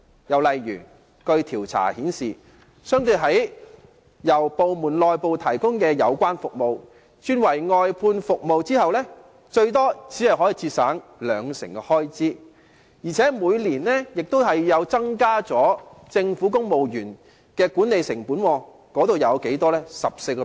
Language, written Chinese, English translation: Cantonese, 又例如，據調查顯示，由政府部門內部提供的有關服務轉為外判服務後，最多只可節省兩成的開支，而且亦會增加政府每年的管理成本，這成本是多少呢？, Another example is according to survey findings after the services provided internally by government departments were outsourced only 20 % of the expenditure could be saved at the maximum and the annual management cost of the Government also increased . What was the cost?